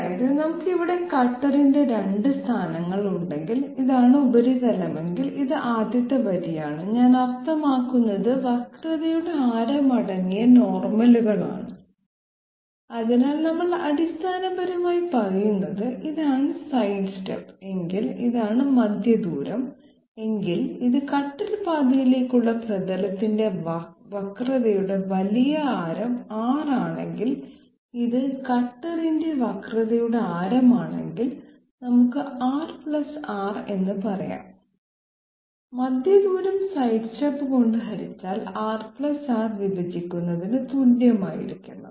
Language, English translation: Malayalam, That is if we have 2 positions of the cutter here and if this be the surface, this be the first line I mean the normals containing the radius of curvatures, so we are basically saying this is if this be the sidestep and if this be the centre distance and if this be big R radius of curvature of the surface orthogonal to the cutter path and this is the radius of curvature of the cutter, we can say R + R, centre distance divided by sidestep must be equal to R + r divided by R this is what we are establishing that means we are establishing a relationship between the sidestep and the centre distance, why are we doing this, because ultimately we have to establish how much is this particular magnitude